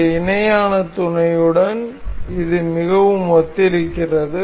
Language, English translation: Tamil, This is very similar to this parallel mate